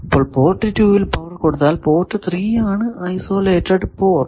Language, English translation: Malayalam, So, if you give power at port 2, port 3 is an isolated port